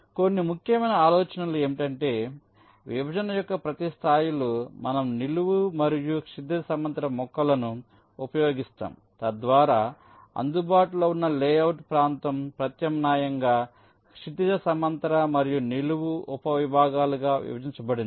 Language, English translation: Telugu, ok, so some of the salient ideas is that at every level of partitioning so you use vertical and horizontal slices so that the available layout area is partitioned into horizontal and vertical subsections alternately